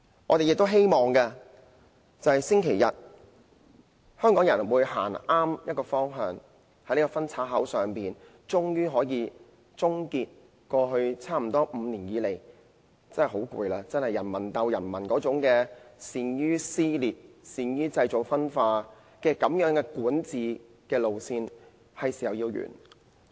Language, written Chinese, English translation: Cantonese, 我們很希望，經過星期日，香港人能夠走向正確的方向，在這個分岔口上，終於可以終結過去差不多5年的疲累，那種人民鬥人民、善於撕裂、善於製造分化的管治路線應該是時候來到終結。, We strongly hope that after this Sunday Hong Kong people can go towards the right direction after this parting of the ways bringing an end to all the weariness we felt for almost five years in the past . The current style of governance through creating divisions and divergence in society through in - fighting must stop